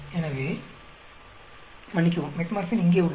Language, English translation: Tamil, So, sorry Metformin is here